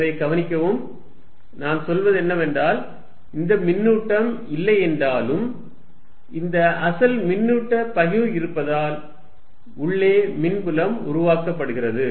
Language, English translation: Tamil, So, notice, what we are saying is, even if this charge is not there, due to the presence of this original charge distribution of field is created inside